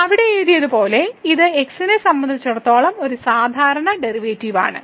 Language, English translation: Malayalam, So, as written there it is a usual derivative with respect to